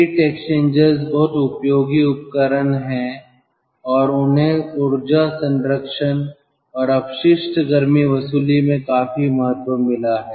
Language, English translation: Hindi, heat exchangers are very useful equipment as such and they have got enormous importance ah in energy conservation and waste heat recovery